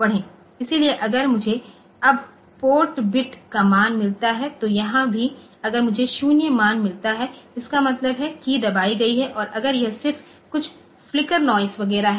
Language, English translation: Hindi, So, if now, if I now the value of the port bit so, here also if I find the value is 0; that means, the key has been placed and if it is just some flicker noise etcetera